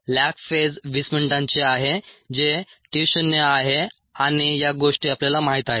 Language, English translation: Marathi, the lag phase is a twenty minutes, which is t zero, and those are the things that are known, the